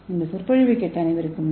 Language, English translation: Tamil, I thank you all for listening this lecture